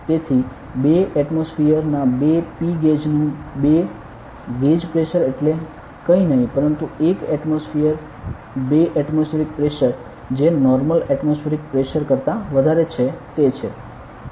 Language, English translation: Gujarati, So, 2 gauge pressure of 2 P gauge of 2 atmosphere means nothing, but 1 atmospheric 2 atmospheric pressure greater than the normal atmospheric pressure that is it